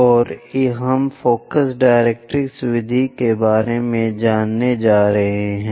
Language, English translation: Hindi, And we are going to learn about focus directrix method